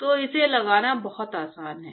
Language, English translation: Hindi, So, it is very easy put this